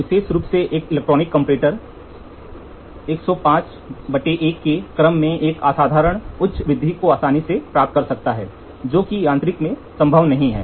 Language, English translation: Hindi, An electronic comparator in particular can achieve an exceptional high magnification of the order of 105 times is to 1 quite easily, which is not possible in mechanical